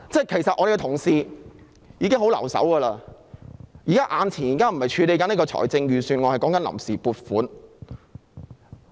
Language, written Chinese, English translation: Cantonese, 其實我們的同事已手下留情，現在眼前處理的並非預算案，而是臨時撥款。, In fact our Honourable colleagues have pulled punches . We are now dealing with the funds on account instead of the Budget